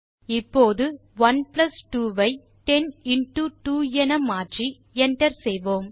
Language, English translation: Tamil, Now change 1 plus 2 to 10 into 2 and press enter